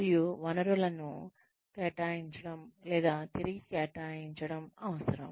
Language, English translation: Telugu, And, the resources may need to be allocated or reassigned